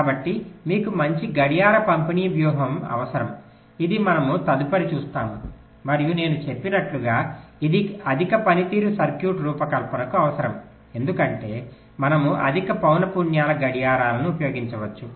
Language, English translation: Telugu, so you need a good clock distribution strategy, which we shall be looking at next, and, as i have said, this is a requirement for designing high performance circuit, because we can use clocks of higher frequencies